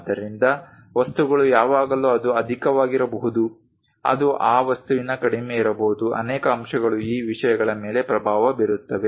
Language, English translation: Kannada, So, things there is always chance that it might be excess it might be low of that object, many factors influence these things